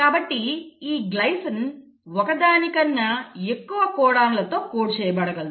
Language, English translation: Telugu, So the glycine can be coded by more than 1 codon